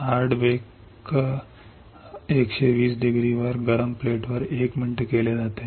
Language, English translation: Marathi, Hard bake is done at 120 degrees, 1 minute on hot plate